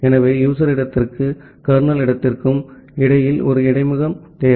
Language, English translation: Tamil, So, you require a interfacing between the user space and the kernel space